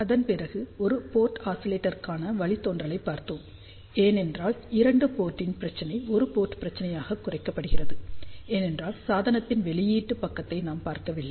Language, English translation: Tamil, After that we will looked at the derivation for one port oscillator why, because a two port problem was reduced to a one port problem, because we were not looking at only at the output side of the device